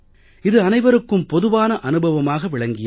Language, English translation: Tamil, This has been everybody's experience